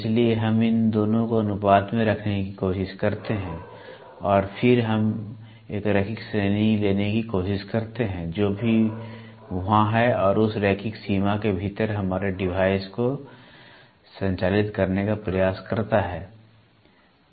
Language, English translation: Hindi, So, we try to put these two in ratios and then we try to take a linear range whichever is there and try to operate our device within that linear range